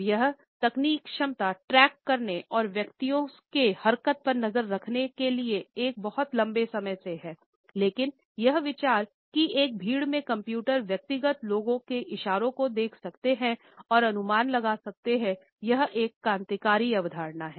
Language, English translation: Hindi, The technological capability to track and individuals movements had been there for a very long time now, but this idea that computers can look at the individual people gestures in a crowd and can make detections on it is basis is a revolutionary concept